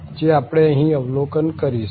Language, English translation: Gujarati, This is what we will observe now